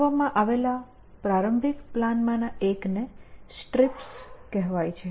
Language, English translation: Gujarati, So, one of the earliest planners that was built was called strips